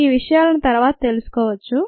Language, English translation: Telugu, ah that you can learn later